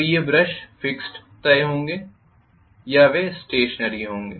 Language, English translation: Hindi, So these brushes will be fixed or they will be stationary